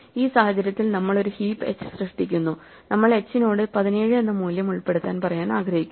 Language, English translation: Malayalam, In this case we are created a heap h, so we want to tell h insert in yourself the value 70